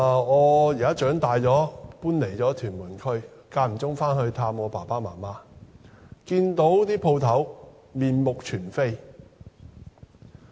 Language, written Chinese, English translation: Cantonese, 我在長大後搬離了屯門區，間中回去探望父母，看到那些店鋪已經面目全非。, After growing up I moved out of Tuen Mun . Occasionally I would go back there to visit my parents . I found that those shops have changed beyond recognition